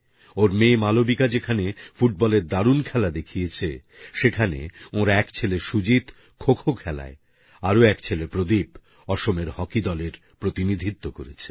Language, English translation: Bengali, But whereas her daughter Malvika showed her mettle in football, one of her sons Sujit represented Assam in KhoKho, while the other son Pradeep did the same in hockey